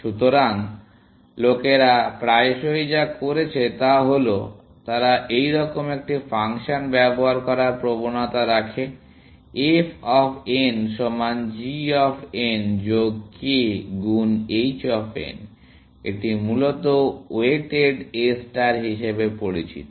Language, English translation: Bengali, So, what people have often done is that, they have tend to use a function like this; f of n equal to g of n plus k times h of n; this is known as weighted A star, essentially